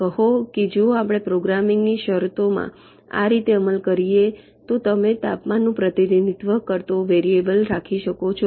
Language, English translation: Gujarati, say, if we implement in this way, while in terms a programming you can keep a variable that represents the temperature